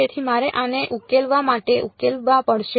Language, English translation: Gujarati, So, I have to solve for these to solve for